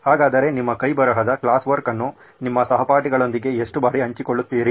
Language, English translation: Kannada, So how frequently do you share your handwritten class work with your classmates